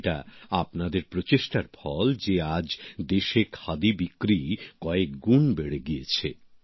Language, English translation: Bengali, It is only on account of your efforts that today, the sale of Khadi has risen manifold